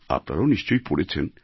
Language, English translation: Bengali, You too must have read it